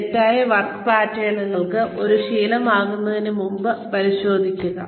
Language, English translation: Malayalam, Check faulty work patterns, before they become a habit